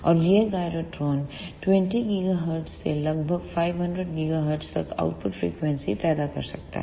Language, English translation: Hindi, And these gyrotron can produce output frequencies from 20 gigahertz to about 500 gigahertz